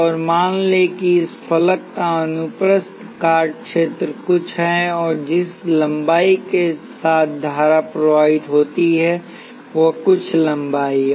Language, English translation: Hindi, And let say the cross sectional area of this face is something and the length along which the current flows is some length